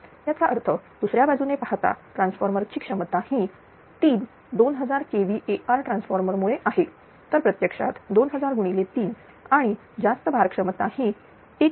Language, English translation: Marathi, 97 KVA therefore, on the other hand the transformer capability is because there are three 2000 KVA transformer, so it actually 2000 into 3 in the power loading capability is 1